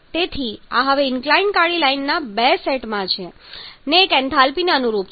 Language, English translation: Gujarati, So this is there now among two sets of inclined black lines 1 correspondence to the enthalpy